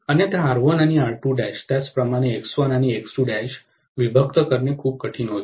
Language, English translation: Marathi, Otherwise R1 and R2 dash, similarly X1 and X2 dash, it would be very difficult to segregate